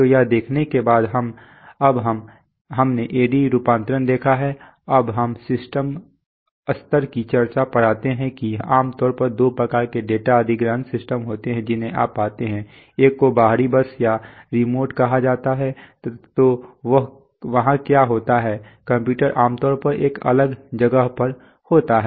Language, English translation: Hindi, So having seen that, so now we have seen A/D conversion now we come to the system level discussion that typically there are two kinds of data acquisition system that you find, one are called external bus or remote, so there what happens is that the computer is in a separate place generally